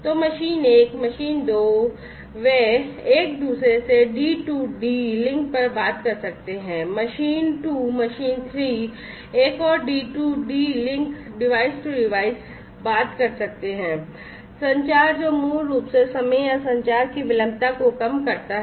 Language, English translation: Hindi, So, machine 1, machine 2 they can talk to each other D2D link, again machine 2 to machine 3 you know another D2D link device to device communication that basically cuts down on the time or the latency of communication and so on